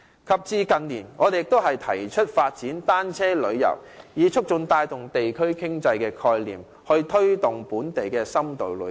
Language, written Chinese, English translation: Cantonese, 及至近年，我們亦提出了發展單車旅遊，以促進及帶動地區經濟發展的概念，推動本地深度旅遊。, In recent years we have also proposed the development of cycling tourism to promote and drive the concept of community economy development as well as taking forward local in - depth tourism